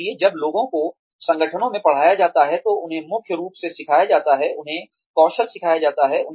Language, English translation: Hindi, So, when people are taught in organizations, they are taught primarily, they are taught skills